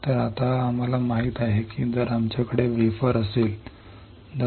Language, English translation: Marathi, So, now we know that if we have a wafer